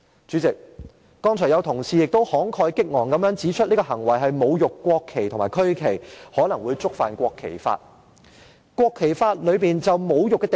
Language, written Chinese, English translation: Cantonese, 主席，剛才有同事也慷慨激昂地指出這種行為是侮辱國旗和區旗，可能會觸犯《國旗及國徽條例》。, President just now some colleagues pointed out emotionally and forcefully that the said act was an insult to the national flag and the national emblem which may contravene the National Flag and National Emblem Ordinance